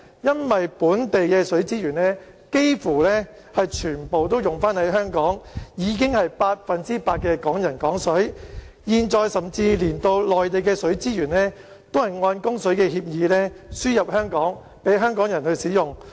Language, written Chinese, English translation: Cantonese, 因為本地的水資源幾乎全部用於香港，已經是百分之百的"港人港水"，現在甚至連內地的水資源亦按供水協議輸入香港，供香港人使用。, Since almost all local water resources are used in Hong Kong Hong Kong people using Hong Kong water is always true . At present even the water resources in the Mainland are also supplied to Hong Kong for local use pursuant to the water supply agreement